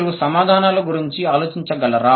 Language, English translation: Telugu, Can you think about the answers